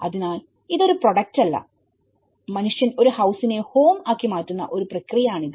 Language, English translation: Malayalam, So, this is not a product, it is a process how man evolves, a house into a home